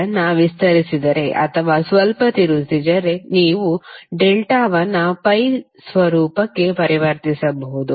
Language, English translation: Kannada, If you expand or if you twist a little bit, you can convert a delta into a pi format